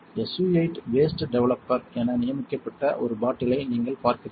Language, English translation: Tamil, You see a bottle designated SU 8 waste developer